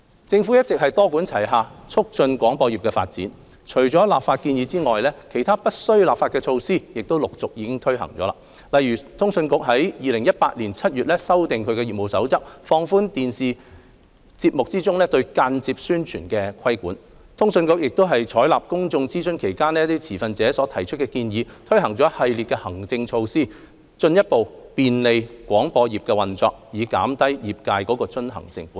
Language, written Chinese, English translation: Cantonese, 政府一直多管齊下促進廣播業的發展，除立法建議外，其他不需立法的措施亦已陸續推展，例如通訊局已於2018年7月修訂其業務守則，放寬電視節目中對間接宣傳的規管；通訊局亦已採納公眾諮詢期間持份者所提出的建議，推行一系列行政措施，進一步便利廣播業運作，減低業界的遵行成本。, Other than legislative proposals non - legislative measures have also been taken forward successively . For example CA revised its Code of Practice to relax the regulation of indirect advertising in TV programmes in July 2018 . CA has also taken on board the suggestions made by stakeholders during the public consultation by implementing a series of administrative measures to further facilitate the operation of the broadcasting industry and reduce the industrys compliance cost